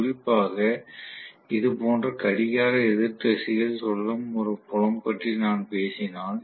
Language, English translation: Tamil, So probably this will face, if especially if I am talking about a field rotating in anticlockwise direction like this